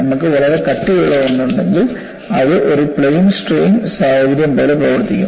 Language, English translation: Malayalam, If you have a very thick one, it will behave like a plane strain situation